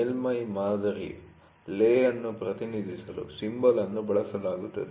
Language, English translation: Kannada, The symbol is used to represent lay of the surface pattern